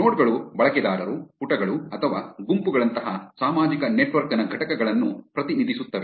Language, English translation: Kannada, Nodes represent the entities of social network like users, pages or groups